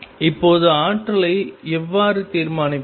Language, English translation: Tamil, Now, how do we determine the energy